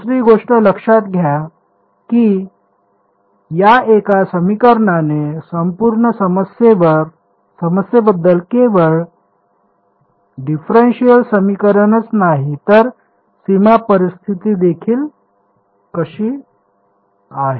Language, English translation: Marathi, The second thing is notice that this one equation has inbuilt into it information about the entire problem not just the differential equation, but the boundary conditions also how is that